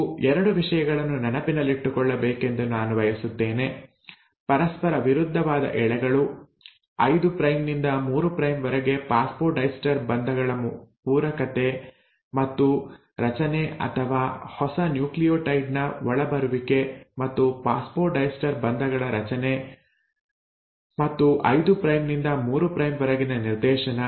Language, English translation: Kannada, Now, I will, want you to remember again I am reiterating 2 things, antiparallel strands, complementarity and formation of phosphodiester bonds from 5 prime to 3 prime, or the incoming of the newer nucleotide and formation of a phosphodiester bonds and hence are directionality in 5 prime to 3 prime